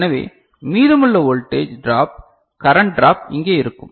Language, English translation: Tamil, So, rest of the voltage drop current drop will be over here